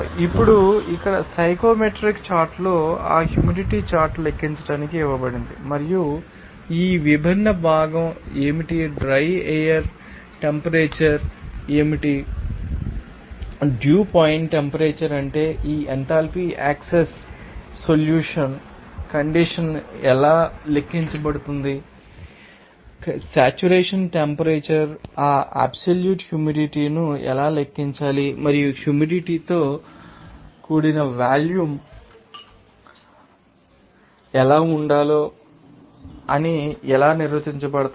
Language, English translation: Telugu, Now here on Psychrometric chart is given to calculate that you know humidity chart and also what is that different components what is the dry air temperature what is the you know dew point temperature how that enthalpy access solution condition can be calculated, what should be the word but or saturated saturation temperature, how to calculate that you know absolute you know moisture content and also what should be you know humid volume they are how it is defined